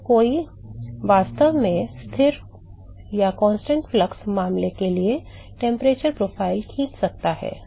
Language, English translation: Hindi, So, one can actually draw the temperature profile for a constant flux case